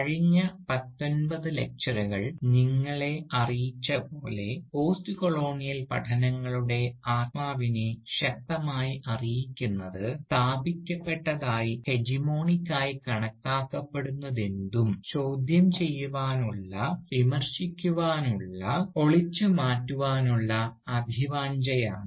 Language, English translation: Malayalam, Now, as the past nineteen lectures must have conveyed to you, the spirit of postcolonial studies has always been strongly informed by the desire to critique question and to dismantle whatever is established, whatever is regarded as the mainstream, whatever is regarded as the hegemonic